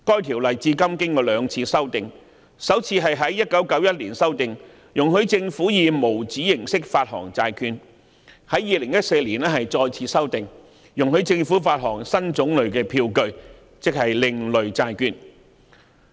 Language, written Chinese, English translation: Cantonese, 《條例》至今經過兩次修訂，首次在1991年修訂，容許政府以無紙形式發行債券，並在2014年再次修訂，容許政府發行新種類票據，即另類債券。, The Ordinance has been amended twice so far . The first amendment was made in 1991 to allow the raising of loans by the Government by the issuance of bonds in paperless form and the Ordinance was further amended in 2014 to facilitate the issuance of a new type of instrument namely alternative bonds